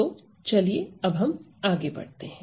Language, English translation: Hindi, So, let us move ahead